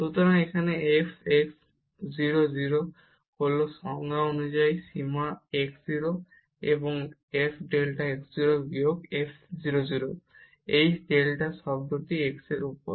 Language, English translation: Bengali, So, here the f x at 0 0 is as per the definition the limit delta x goes to 0 and f delta x 0 minus f 0 0 over this delta x term